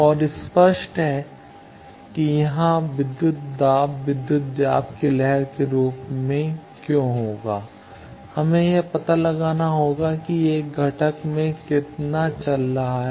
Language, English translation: Hindi, And obvious that is why here voltage will be in the form of voltage wave, we will have to find out how much it is going across a component